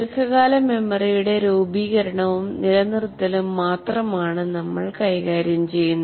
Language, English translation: Malayalam, We will only be dealing with formation of long term memory and retention